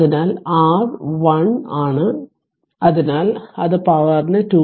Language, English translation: Malayalam, So, R is 1 ohm so that is 2